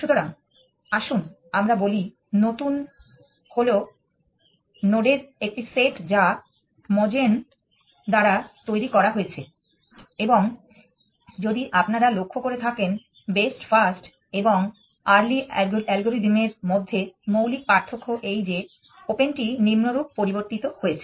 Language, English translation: Bengali, So, let us say new is a set of nodes that is generated by Mogen and the basic difference between best first and early algorithm if we saw was that open is modified as follows